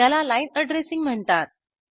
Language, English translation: Marathi, This is known as line addressing